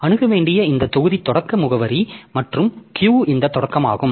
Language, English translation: Tamil, So, this block to be accessed is the start address plus the Q